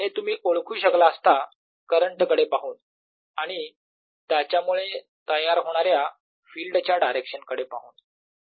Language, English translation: Marathi, you could have anticipated that by looking at the current and direction of the field that is given rise to